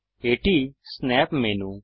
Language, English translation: Bengali, This is the Snap menu